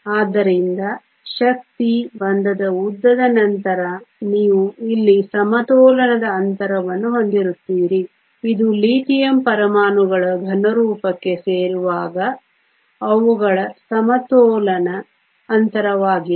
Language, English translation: Kannada, So, energy bond length then you have the equilibrium spacing here this is the equilibrium spacing of the Lithium atoms when they come together to form a solid